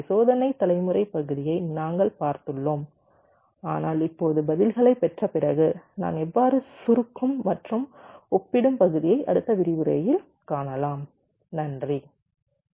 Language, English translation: Tamil, so we have seen the test generation part, but now, after we have obtain the responses, how do i compact and compare